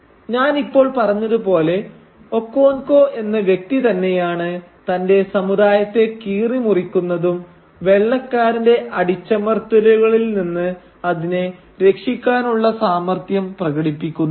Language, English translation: Malayalam, So as I have just said it is the same figure of Okonkwo who both tears apart his community and who shows the potential to save it from the white man’s oppression